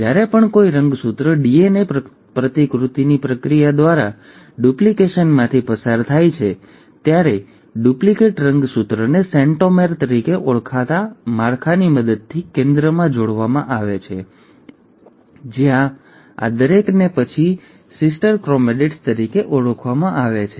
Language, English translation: Gujarati, And every time a chromosome undergoes duplication through the process of DNA replication, the duplicated chromosome is attached at the center with the help of a structure called as ‘centromere’, where each of these then called as ‘sister chromatids’